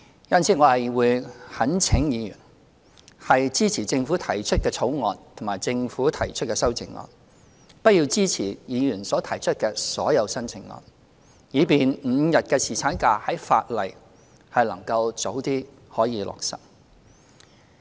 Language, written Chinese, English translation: Cantonese, 因此，我懇請議員支持政府提出的《條例草案》及政府提出的修正案，不要支持議員所提出的所有修正案，以便5天侍產假的法例能早日落實。, I therefore implore Members to support the Bill introduced by the Government and our proposed amendments and do not support all the amendments proposed by Members so that the legislative amendments relating to five days paternity leave shall take effect as early as possible